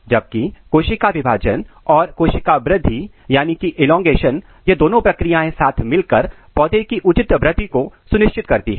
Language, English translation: Hindi, Whereas, cell division and cell elongation these two processes together they ensure proper growth in the plant